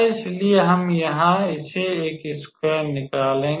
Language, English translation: Hindi, So, we will take out a square from here